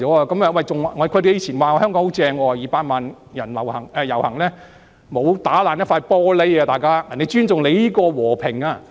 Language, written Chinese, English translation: Cantonese, 他們以往說香港很好 ，200 萬人遊行也沒有損壞一塊玻璃，人家是尊重香港的和平。, They used to speak very highly of Hong Kong as not even a glass panel was broken in a rally with 2 million people taking part in it and they respected the peacefulness of Hong Kong